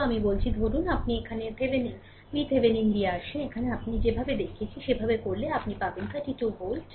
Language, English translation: Bengali, So, let me clear it so, if you come here that Thevenin V Thevenin here, the way I showed you it has been computed as your 12 volt right